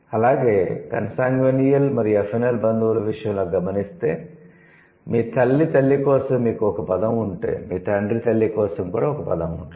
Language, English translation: Telugu, Also, in case of the consanguinal and affinal relatives, if you have a word for your mother's mother, then you should also have a word for the father's mother